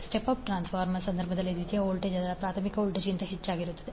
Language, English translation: Kannada, Whereas in case of step up transformer the secondary voltage is greater than its primary voltage